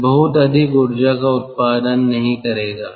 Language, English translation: Hindi, it will not produce much energy